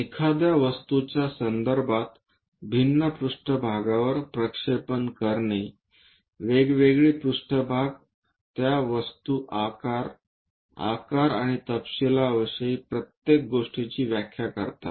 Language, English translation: Marathi, In that context projection of object on to different views, different planes defines everything about that object in terms of shape, size, under the details